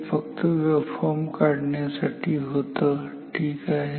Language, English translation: Marathi, This is only the waveforms direction for drawing the waveform ok